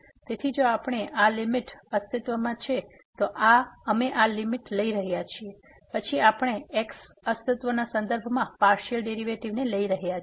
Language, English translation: Gujarati, So, we are taking this limit if this limit exist, then we call the partial derivatives with respect to x exist